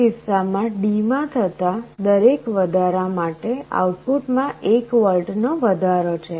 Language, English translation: Gujarati, In this case for every increase in D, there is a 1 volt increase in the output